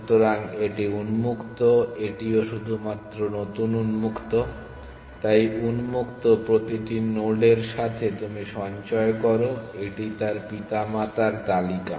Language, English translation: Bengali, So, this is open this is only be the new open, so with every node in open you store it is parents list of its parents